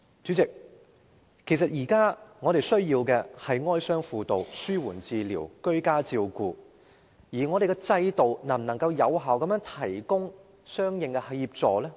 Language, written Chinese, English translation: Cantonese, 主席，其實我們現時最需要的是哀傷輔導、紓緩治療和居家照顧服務，但我們的制度能否有效地提供相應的協助？, Actually President now what we need most is bereavement counselling palliative care and home care services but can our system effectively provide corresponding assistance?